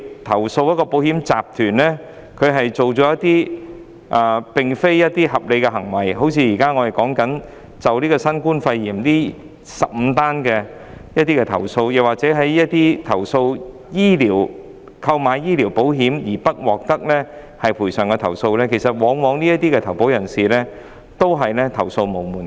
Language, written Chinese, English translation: Cantonese, 假設某個保險集團作出不合理行為，即如我剛提及有關新冠肺炎的15宗投訴或一些購買醫療保險後不獲賠償的投訴個案，當中的投保人往往也是投訴無門的。, Assume that a certain insurance group has made some unreasonable decisions just like the 15 complaint cases I have mentioned just now which are relating to COVID - 19 or other complaints relating to certain medical insurance policyholders who were not compensated these are no channels for these policyholders to lodge their complaints